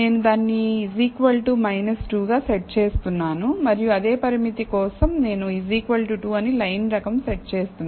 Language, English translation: Telugu, So, I am setting that to be equal to minus 2 and for the same limit I am setting the line type to be equal to 2